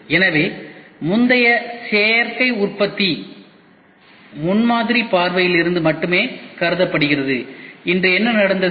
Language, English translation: Tamil, So, earlier Additive Manufacturing was thought of only from the prototyping point of view, today What has happened